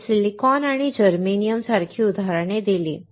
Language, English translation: Marathi, We gave examples such as Silicon and Germanium